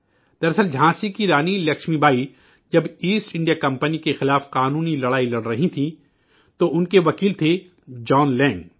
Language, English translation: Urdu, Actually, when the Queen of Jhansi Laxmibai was fighting a legal battle against the East India Company, her lawyer was John Lang